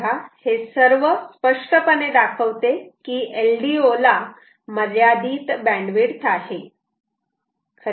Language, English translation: Marathi, so all this clearly ah shows that l d o's ah have finite bandwidth